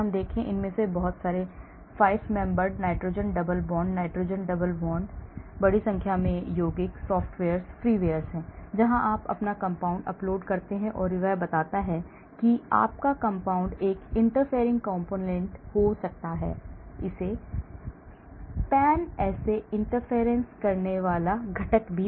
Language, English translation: Hindi, look at this , lot of these 5 member nitrogen double bonds, nitrogen double bonds, huge number of compounds, there are softwares, freewares, where you upload your compound and it tells you whether your compound may be a interfering component; pan assay interfering component